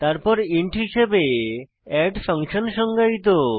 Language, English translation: Bengali, Then we have add function defined as int